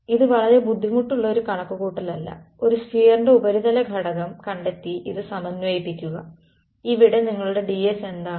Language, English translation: Malayalam, So, you can do this calculation right this is not a very difficult calculation find the surface element on a sphere and integrate this is going to be what is your ds over here